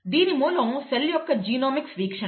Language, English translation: Telugu, The source is Genomics view of the cell